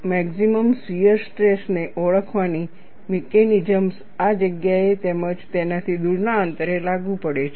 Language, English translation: Gujarati, The mechanisms, of identifying the maximum shear stress differs in this place, as well as, at distance away from it